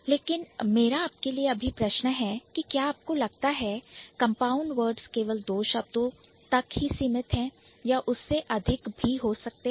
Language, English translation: Hindi, But my question for you would be do you think compound words are limited to two words or it can be more than that